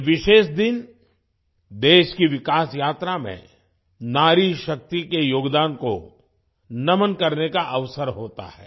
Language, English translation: Hindi, This special day is an opportunity to salute the contribution of woman power in the developmental journey of the country